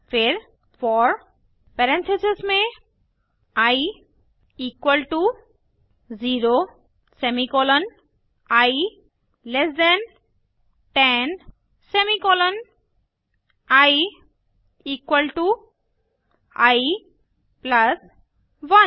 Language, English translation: Hindi, Then for within parenthesis i equal to 0 semicolon i less than 10 semicolon i equal to i plus 1